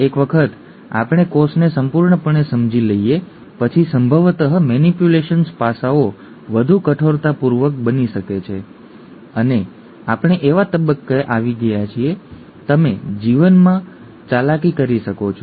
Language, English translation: Gujarati, Once we understand the cell completely then possibly the manipulations aspects can get more rigourous and we have come to a stage where you could manipulate life